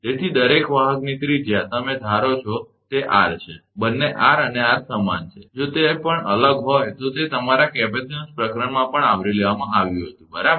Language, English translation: Gujarati, So, radius of each conductor, you are assume that it is r, both are r and r, if it is different also, that had been also covered in your capacitance chapter, right